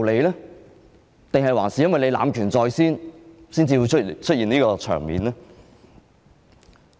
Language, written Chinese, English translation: Cantonese, 還是因為主席濫權在先，才會出現這個場面？, Had they done so because President abused his power first?